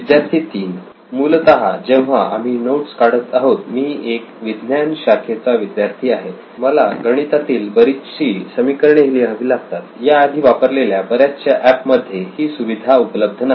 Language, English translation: Marathi, So basically while I am taking notes I’m science student I usually need to write in lot of mathematical equations, so most of the apps which I have used before does not account for that